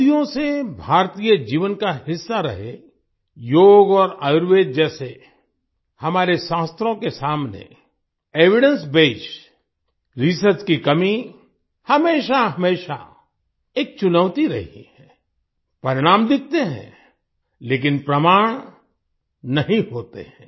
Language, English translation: Hindi, Lack of evidence based research in the context of our scriptures like Yoga and Ayurveda has always been a challenge which has been a part of Indian life for centuries results are visible, but evidence is not